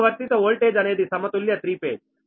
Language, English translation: Telugu, the applied voltage is balanced three phase